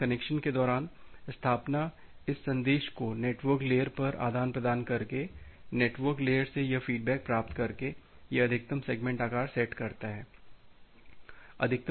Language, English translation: Hindi, So, during the connection establishment, by exchanging this message at the network layer by getting this feedback from the network layer it is sets up the maximum segment size